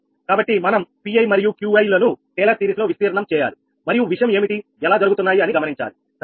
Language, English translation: Telugu, so pi and qi, we have to expand in taylor series and you have to see that how things are happening, right